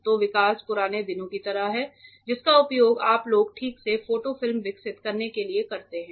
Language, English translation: Hindi, So, development is just like olden days you people use to develop photo films right